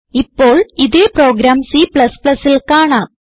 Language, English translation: Malayalam, Now let us see the same program in C++